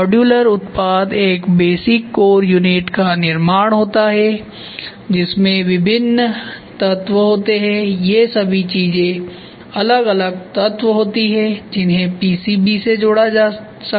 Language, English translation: Hindi, Modular product is a creation of a basic core unit to which different elements, all these things are different elements which can be fastened or which can be attached to a PCB